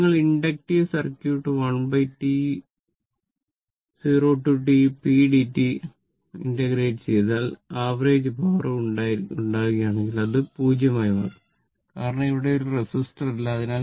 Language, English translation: Malayalam, So, if you make average power for inductive circuit 1 by T 0 to T p dt, it will find 0 because, there is no resistor here